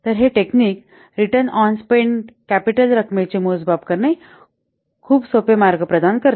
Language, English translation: Marathi, So, this technique provides a very simple and easy to calculate measure of the return on the spent capital amount